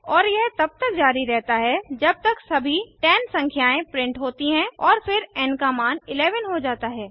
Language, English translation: Hindi, And so on till all the 10 numbers are printed and the value of n becomes 11